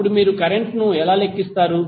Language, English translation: Telugu, Then how you will calculate the current